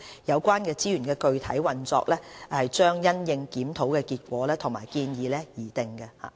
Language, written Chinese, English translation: Cantonese, 有關資源的具體運用將因應檢討結果和建議而定。, Actual use of the funding will be subject to the review findings and recommendations